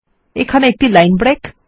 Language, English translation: Bengali, A line break here